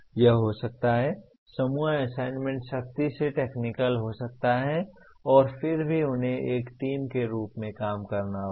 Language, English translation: Hindi, This can be, group assignment could be strictly technical and yet they have to work as a team